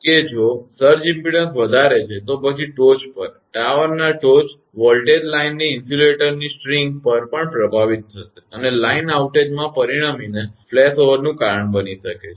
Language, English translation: Gujarati, That if surge impedance is high, then on the top of the; tower top voltage will be impressed across the line insulator string also and can cause a flashover resulting, in a line outage